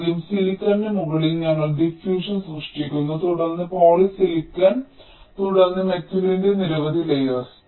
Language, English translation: Malayalam, so on top of the silicon we create the diffusion, then poly silicon, then several layers of metal